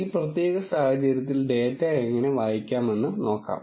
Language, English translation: Malayalam, Let us see how to read the data in this particular case